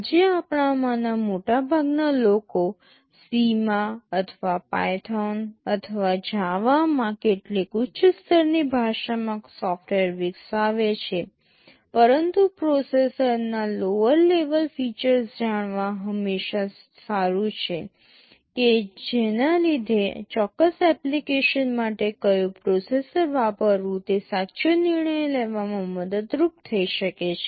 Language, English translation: Gujarati, Today most of us develop the software in some high level language, either in C or in Python or in Java, but it is always good to know the lower level features of the processor in order to have an informed decision that which processor may be better for a particular application